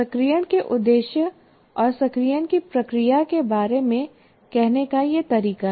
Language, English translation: Hindi, So this is the most appropriate way of saying about the purpose of activation and the process of activation